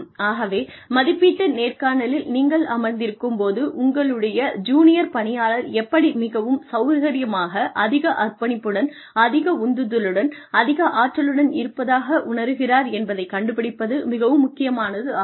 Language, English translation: Tamil, So, when you are sitting in an appraisal interview, it is always very important to find out, what can or how your junior employee can feel more comfortable, more committed, more driven, more energized, to do the work that they are there to do